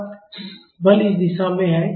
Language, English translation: Hindi, So, force is in this direction